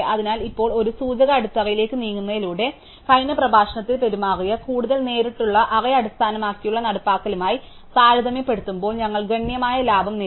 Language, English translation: Malayalam, So, therefore, now by moving to this pointer base thing, we have actually achieved a considerable saving compare to the more direct array based implementation that behave in the last lecture